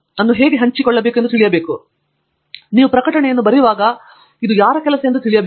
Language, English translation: Kannada, So, when you write publications you should know whose work was this